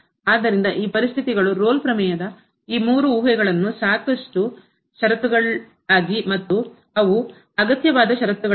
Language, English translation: Kannada, So, therefore, these conditions these three hypotheses of the Rolle’s Theorem are sufficient conditions and they are not the necessary conditions